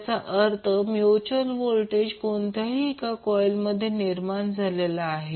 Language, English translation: Marathi, That means the mutual voltage which induced is in either of the coil will be positive